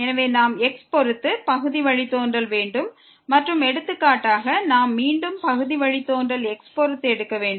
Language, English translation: Tamil, So, we have the partial derivative with respect to x and for example, we want to take again the partial derivative with respect to